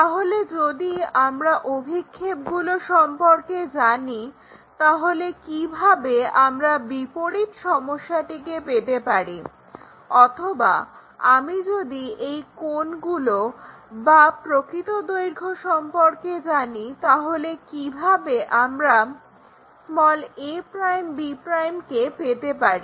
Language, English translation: Bengali, So, if I know the projections how to get that inverse problem one or if I know these angles and true lengths, how can I get this a' b', these are the questions what we will ask